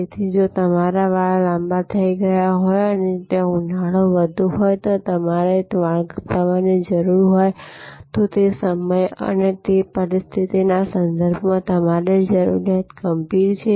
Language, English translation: Gujarati, So, if your hair has grown long and there it is high summer and you need a haircut, then your need with respect to that time and that situation is critical